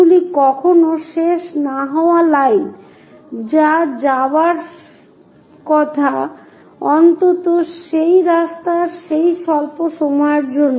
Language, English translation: Bengali, These are never ending lines which supposed to go, at least for that short span of that road